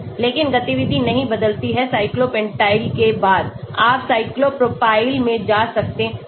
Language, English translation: Hindi, But the activity does not change after cyclopentyl you may go to cyclo propoyl